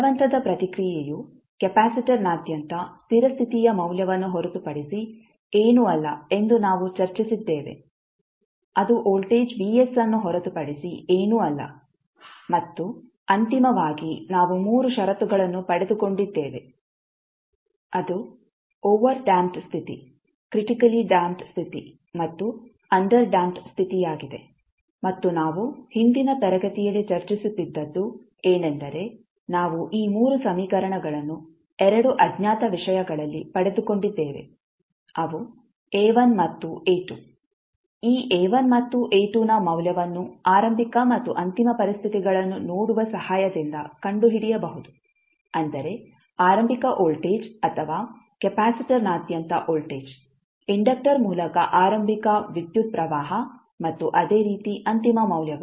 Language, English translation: Kannada, And then we discussed that the force response is nothing but the steady state value across the capacitor that is nothing but the voltage Vs and finally we got the 3 conditions that is overdamped case, critically damped case and underdamped case and what we were discussing in the last class is that, we have got this 3 equations in terms of 2 unknowns those are A1 and A2 which we can the value of this A1 and A2 can be found with the help of seeing the initial and final conditions, like initial voltage or voltage across capacitor, initial current through inductor and similarly the final values so on